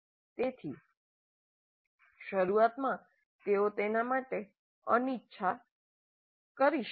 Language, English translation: Gujarati, So initially they may be reluctant